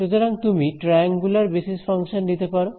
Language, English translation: Bengali, So, you can have these triangular basis functions